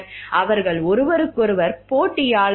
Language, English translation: Tamil, Are the competitors of each other